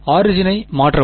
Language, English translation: Tamil, Shift the origin